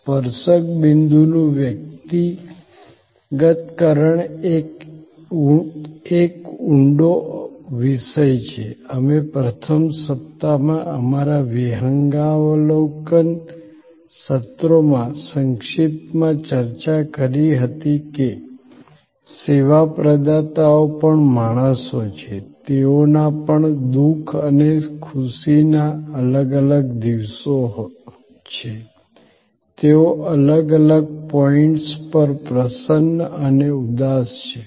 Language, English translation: Gujarati, The personalization of the touch point is a deep subject, we discussed briefly in our overview sessions in the first week that service providers are also human beings, they also have different days of sorrows and happiness, they are glad and sad at different points